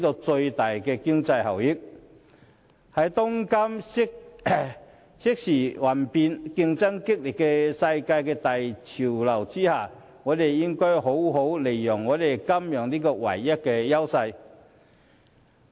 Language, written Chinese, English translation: Cantonese, 在當今瞬息萬變和競爭激烈的世界大潮流下，香港應好好利用金融這項唯一優勢。, Amid the fierce competition in this fast - changing world we should capitalize on the sole strength of Hong Kong which is the finance industry